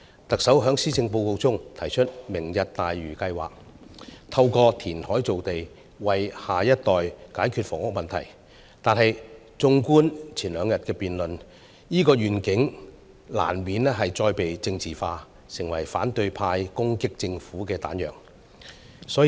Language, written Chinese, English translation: Cantonese, 特首在施政報告中提出"明日大嶼"計劃，透過填海造地為下一代解決房屋問題，但是綜觀前兩天的辯論，這個願景難免再被政治化，成為反對派攻擊政府的彈藥。, The Chief Executive proposes the Lantau Tomorrow project in the Policy Address to resolve the housing problem by creating land through reclamation for the next generation . However as reflected from the debates in these two days this vision has inevitably been politicalized and becomes the ammunition for the opposition party to attack the Government